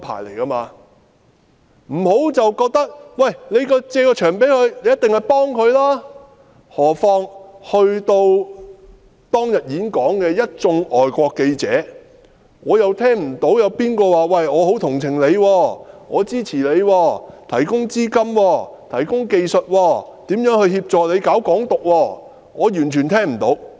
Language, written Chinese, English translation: Cantonese, 不要認為機構借出場地，便是幫助使用者，何況在當天演講場地的一眾外國記者，我完全聽不到他們表示很同情、支持陳浩天，提供資金、技術協助他宣揚"港獨"。, We should not think that organizations hiring out venues aim to help the venue users . I have not heard of any foreign journalist present at the forum on that day expressing sympathy or support for Andy CHAN or providing financial or technical assistance to help him promote Hong Kong independence